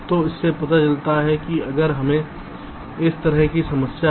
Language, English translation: Hindi, so this shows that if we have a problem like this